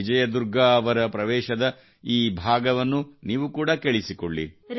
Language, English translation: Kannada, Do listen to this part of Vijay Durga ji's entry